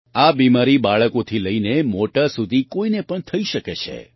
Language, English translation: Gujarati, This disease can happen to anyone from children to elders